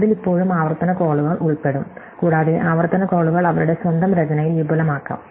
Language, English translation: Malayalam, It will still involve recursive calls and recursive calls can be expensive in their own writing